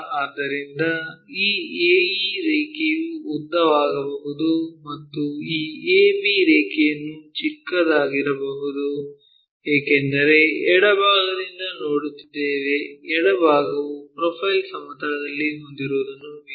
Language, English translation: Kannada, So, this AE line might be elongated 1, and this ab line might be shorten, because we are looking from left side, left side view what we have on the profile plane